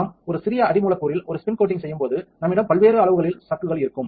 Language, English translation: Tamil, When we are spin coating on a smaller substrate, we have chucks of different size